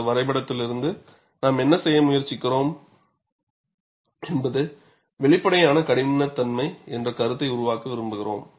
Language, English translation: Tamil, And from this graph, what we are trying to do is, we want to develop the concept of apparent toughness